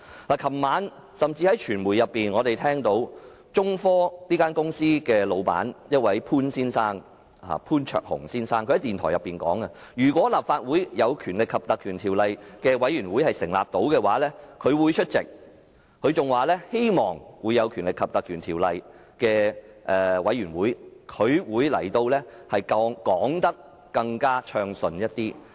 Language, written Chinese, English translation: Cantonese, 昨天晚上傳媒報道，中科興業有限公司的老闆潘焯鴻先生在電台訪問中表示，如果立法會根據《條例》成立專責委員會，他會出席會議，在獲《條例》授權的專責委員會會議上，他可以解釋得更加順暢。, As reported in the media last night Mr Jason POON boss of China Technology Corporation Limited indicated in a radio interview that if the Legislative Council set up a select committee pursuant to the Ordinance he would attend its meetings and at meetings of the select committee authorized under the Ordinance he could give his explanations more smoothly